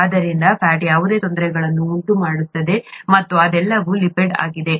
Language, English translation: Kannada, So fat causes whatever difficulties, and all that is a lipid